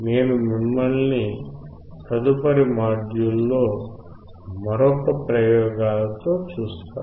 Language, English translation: Telugu, I will see you in the next module with another set of experiments